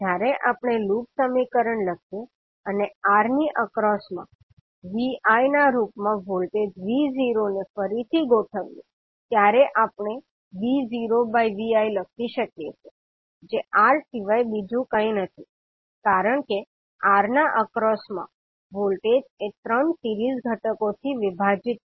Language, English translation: Gujarati, So when we write the the loop equation and rearrange the voltage V naught is across R as in terms of Vi, we can write V naught by Vi is nothing but R because voltage across R divided by all 3 series components